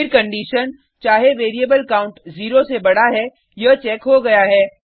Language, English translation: Hindi, Then the condition whether the variable count is greater than zero, is checked